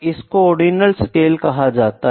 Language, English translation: Hindi, So, this is ordinal scale